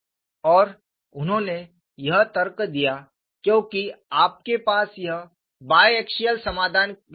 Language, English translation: Hindi, And this you argued, because you have this as a bi axial solution